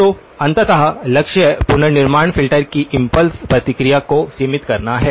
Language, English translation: Hindi, So, ultimately the goal is to limit the impulse response of the reconstruction filter